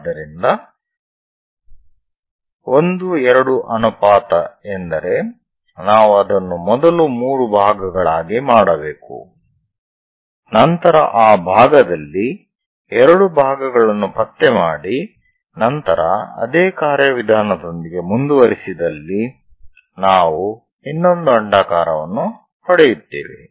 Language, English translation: Kannada, So 1 2 ratio that means we have to make it into 3 parts first of all, then locate 2 parts in that direction 1 part then go with the same procedure we will get another ellipse